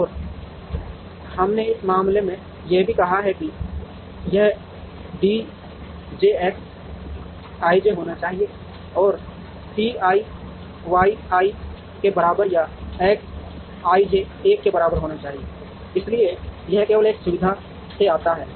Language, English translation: Hindi, And we also said in this case that, this should be D j X i j should be less than or equal to C i Y i and X i j should be equal to 1, so it comes only from one facility